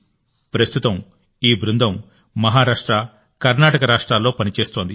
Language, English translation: Telugu, Today this team is working in Maharashtra and Karnataka